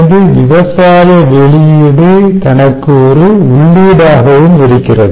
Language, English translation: Tamil, so agriculture output feeds into itself